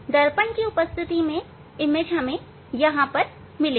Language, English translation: Hindi, in presence of the mirror image you will get here